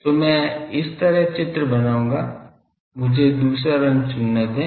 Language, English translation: Hindi, So, I will draw like this let me choose another colour